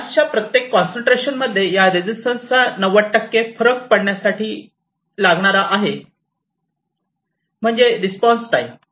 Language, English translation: Marathi, The fall 90 percent of this resistance at each concentration of the gas so that is your response time